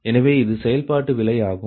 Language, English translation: Tamil, so this is that the operating cost